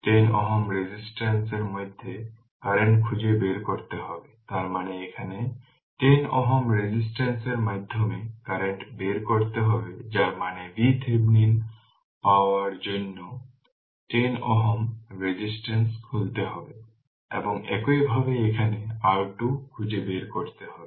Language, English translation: Bengali, You have to find out the current through 10 ohm resistance; that means, here you have to find out the current through 10 ohm resistance that mean you have to open 10 ohm resistance to get the V Thevenin and similarly you have to find out the R Thevenin there